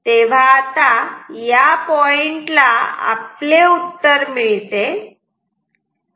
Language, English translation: Marathi, Now, how to find this answer